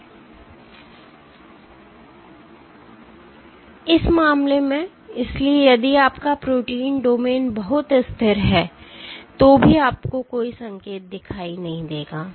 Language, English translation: Hindi, In this case, so if your protein domains are very stable then also you would not see any signal